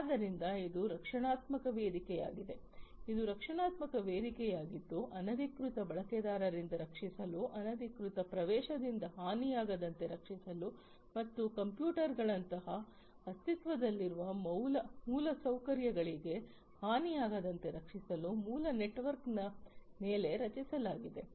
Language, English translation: Kannada, So, it is a protective platform, it is a protective platform that will have to be created on top of the basic network, for protecting from unauthorized users, protecting from damage unauthorized access, and damage to the existing infrastructure like computers etcetera and so on